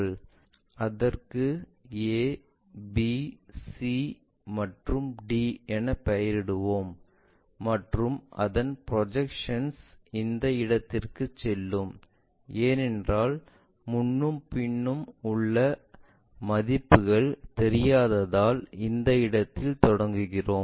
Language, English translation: Tamil, Name a, b, c, and d points, and its projection always be goes to perhaps this location let us call because we do not know in front and away